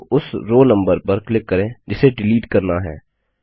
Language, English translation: Hindi, Alternately, click on the row number to be deleted